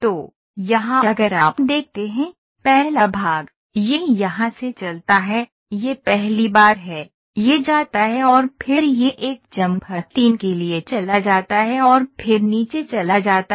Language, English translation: Hindi, So, here if you see, first part, it moves from here, this is first then, this goes and then it goes for a chamfer 3 and then it goes it goes it goes for a chamfer then it goes down